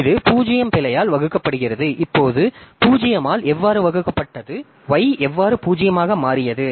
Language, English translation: Tamil, Now, how that divide by 0 came, how did the y became 0 become 0